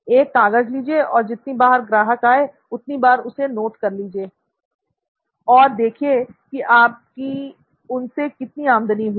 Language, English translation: Hindi, Well, take a piece of paper, every time a customer visits, note it down and see how much revenue you get out of this